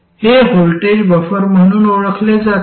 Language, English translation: Marathi, Now, what do we want from a voltage buffer